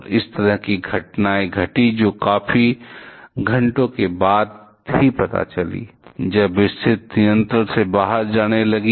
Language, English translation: Hindi, And such kind of incidents happened that came to know only after quite a few hours, when the situation started to go out of control